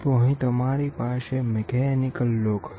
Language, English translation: Gujarati, So, here what we do is there is a mechanical lock